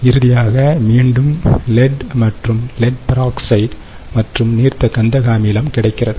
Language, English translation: Tamil, what we finish, what we finally get, is again lead and lead oxide and dilute sulfuric acid